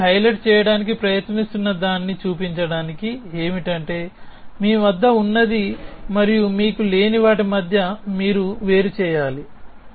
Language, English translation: Telugu, To show what I am trying to highlight here is that you need to distinguish between what you have and what you do not have